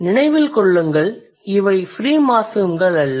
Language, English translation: Tamil, Remember, they are not free morphemes